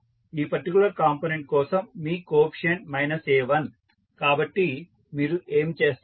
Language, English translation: Telugu, You coefficient for this particular component is minus a1, so, what you will do